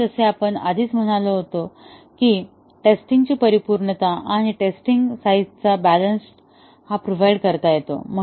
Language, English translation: Marathi, And, as we have already been saying that it provides a good balance of the thoroughness of testing and the test size